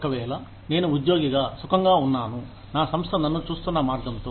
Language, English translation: Telugu, If, I as an employee, am feeling comfortable, with the way, my organization treats me